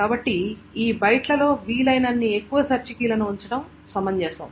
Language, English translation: Telugu, So it makes sense to put in as many search keys as possible within this C byte